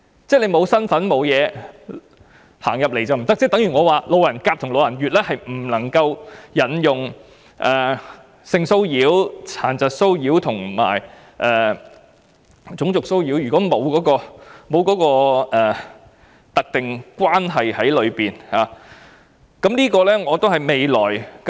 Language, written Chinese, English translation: Cantonese, 即是沒有身份的人並不在保障範圍內，例如路人甲和路人乙便不能夠引用有關性騷擾、殘疾騷擾和種族騷擾的條文，因為兩者之間並沒有特定關係。, In other words persons without a role to play do not fall within the scope of protection for example passer - by A and passer - by B will not be able to invoke provisions relating to sexual disability and racial harassment because there is no specific relationship between them